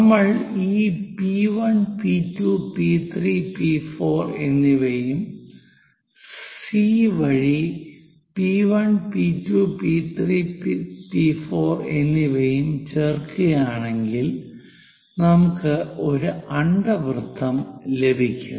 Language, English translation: Malayalam, Once we join this P 1, P 2, P 3, and so on, these are the points P 1, P 2, P 3, and P 4 via C; we will get this ellipse